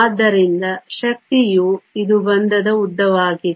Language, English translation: Kannada, So, Energy this is bond length